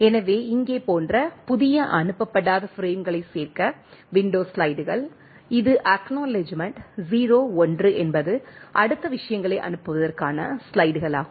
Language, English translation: Tamil, So, the window slides to include new unsent frames like here, this ones the acknowledgement 0, 1 is it slides to send the next things